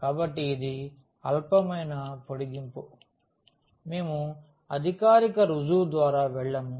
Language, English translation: Telugu, So, that is the trivial extension of this we will not go through the formal prove